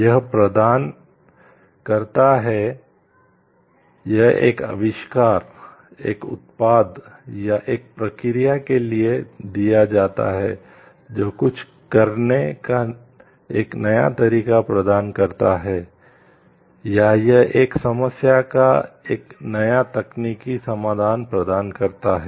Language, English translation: Hindi, It provides it is granted for an invention, a product or process that provides a new way of doing something, or that it offers a new technical solution to a problem